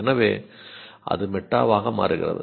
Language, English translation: Tamil, So that is going meta